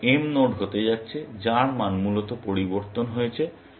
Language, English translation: Bengali, Essentially, M is going to be the nodes, whose value has changed, essentially